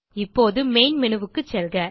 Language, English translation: Tamil, Now go to the Main Menu